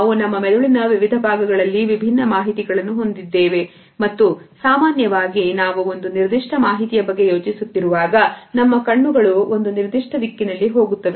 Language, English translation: Kannada, We hold different pieces of information in different parts of our brain and usually when we are thinking about a particular top of information, our eyes will go in one particular direction